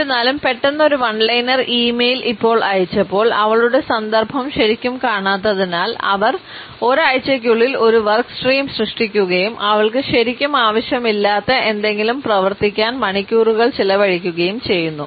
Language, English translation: Malayalam, Although, sudden after that one liner email, because they had not really seen her context, they created a work stream within a week and spend hours working on something that she did not even really need